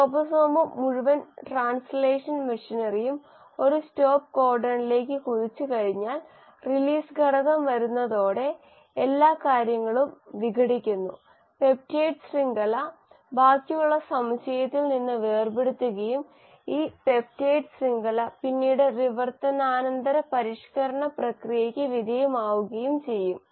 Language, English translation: Malayalam, And then once the ribosome and the entire translational machinery bumps into a stop codon the release factor comes every things gets dissociated, the peptide chain gets separated from the rest of the complex and this peptide chain will then undergo the process of post translational modification